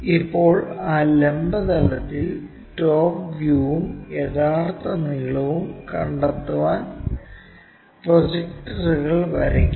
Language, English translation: Malayalam, Now, draw the projectors to locate top view and true length on that vertical plane